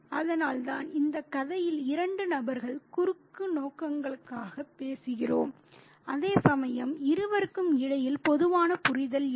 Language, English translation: Tamil, So, which is why we really have two people talking at cross purposes here in the story, whereas there is no common understanding between the two